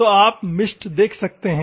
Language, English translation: Hindi, So, you can see the mist